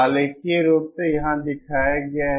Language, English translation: Hindi, Graphically this is shown here